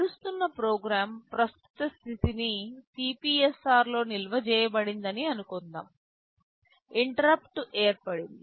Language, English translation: Telugu, Suppose a program is running current status is stored in CPSR, there is an interrupt that has come